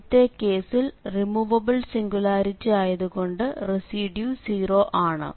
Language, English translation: Malayalam, So, in the first case since it is a removable singularity the residues is going to be 0